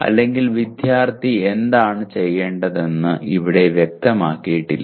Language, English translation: Malayalam, Or it is not stated as what the student is supposed to do